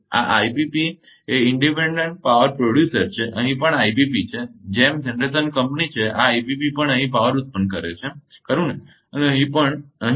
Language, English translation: Gujarati, These are IPP independent power producer here also IPP is there like generation compile is this IPP also generating power here right, here also here also